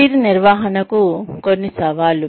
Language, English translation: Telugu, Some challenges to Career Management